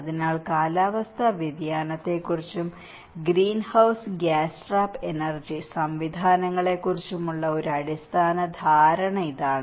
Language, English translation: Malayalam, So, this is the basic understanding of climate change and the greenhouse gas trap energy systems